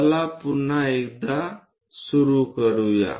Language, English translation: Marathi, Let us begin the step once again